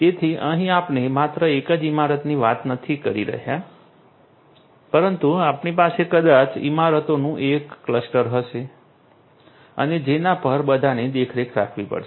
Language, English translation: Gujarati, So, here we are not just talking about a single building, but we are going to have maybe a cluster of buildings and so on which all will have to be monitored right